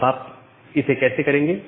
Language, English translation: Hindi, Now how you can do that